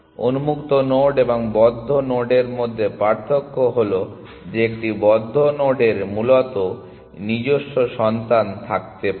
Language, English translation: Bengali, The difference between the node on open and a node on close is that a node on close may have children of its own essentially